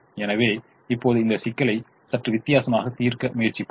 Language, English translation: Tamil, now let's try to solve this problem in a slightly different manner